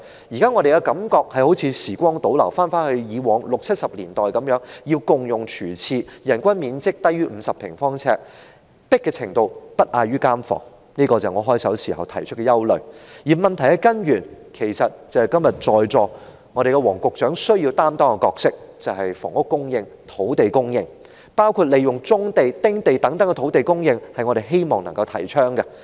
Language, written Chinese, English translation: Cantonese, 現時的感覺好像時光倒流，回到以前的六七十年代，市民要共用廚廁、人均面積低於50平方呎、擠迫程度不亞於監房，這正是我在發言開首時提出的憂慮，而要從根源解決問題，正正是在席的黃局長今天所擔當的角色，也就是房屋供應和土地供應，包括"棕地"、"丁地"等土地的供應，這是我們希望提倡的。, Now we feel as if we have travelled back in time and returned to the 1960s or 1970s when people had to share a kitchen and a bathroom the living space per person was less than 50 sq ft and the environment was as crowded as that in a prison . This is exactly the concern that I raised at the outset of my speech . To tackle the problem at root the solution lies in the supply of housing and the supply of land including brownfield sites sites for building small houses etc and these are precisely the roles currently required of Secretary Michael WONG who is in the Chamber now